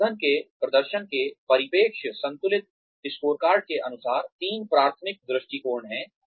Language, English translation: Hindi, Perspectives of managing performance, according to the balanced scorecard, there are three primary perspectives